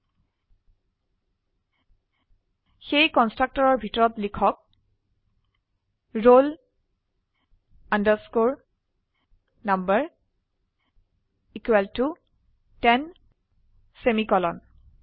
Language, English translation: Assamese, So inside the constructor type roll number equal to ten semicolon